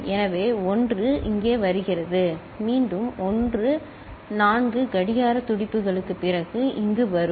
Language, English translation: Tamil, So, 1 is coming here, again 1 will come here after 4 clock pulses, right